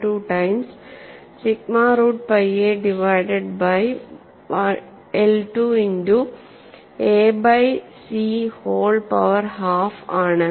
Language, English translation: Malayalam, 12 time sigma root pi a divided by I 2 multiplied by a by c whole power half